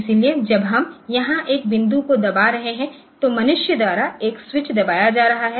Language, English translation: Hindi, So, that when we are pressing a point here pressing a switch so by human being